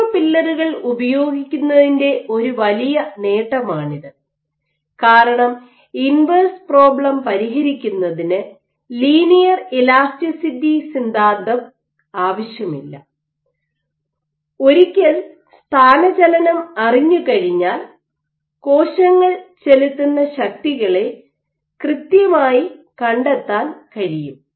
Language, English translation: Malayalam, So, this is one of the big advantages of using micro pillars because you do not need linear elasticity theory to solve the inverse problem, for finding out the forces exerted by cells here once you know the displacement you can exactly map out the force